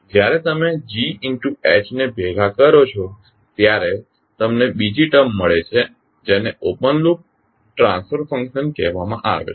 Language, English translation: Gujarati, When you combine Gs into Hs you get another term called open loop transfer function